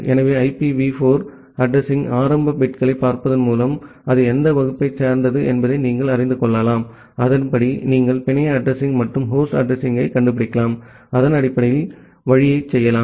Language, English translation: Tamil, So, just by looking into the initial bits of IPv4 address, you can find out in which class it belongs to and accordingly you can find out the network address and the host address and then can do the route based on that